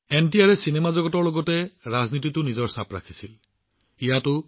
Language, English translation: Assamese, NTR had carved out his own identity in the cinema world as well as in politics